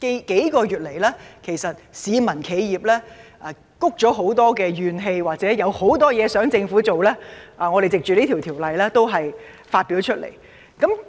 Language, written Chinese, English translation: Cantonese, 幾個月來，市民和企業都積累了很多怨氣，或有很多事情想政府做，我們均藉着在《條例草案》的辯論中表達出來。, Over these months the general public and enterprises have had great grievances . They may want the Government to do many things and we have taken advantage of the debate of the Bill to express these feelings of the public